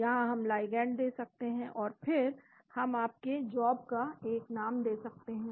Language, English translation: Hindi, Here we can give the ligand and then we can give your job name